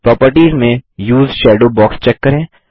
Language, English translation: Hindi, In Properties, check the Use Shadow box